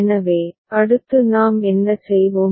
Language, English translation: Tamil, So, next what we shall do